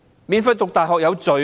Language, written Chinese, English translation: Cantonese, 免費讀大學是罪嗎？, Is it a crime to study at university for free?